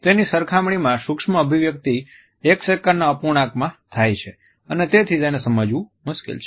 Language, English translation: Gujarati, In comparison to that micro expressions occur in a fraction of a second and therefore, the detection is difficult